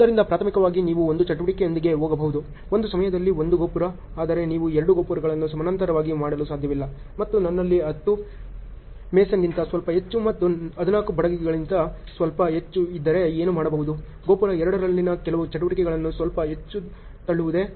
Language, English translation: Kannada, So, primarily you can go with one activity, 1 tower at a time, but you cannot do 2 towers in parallel and what if since I have little more than 10 mason and little more than the 14 carpenters and so on, so, can a little more push some of the activities in the tower 2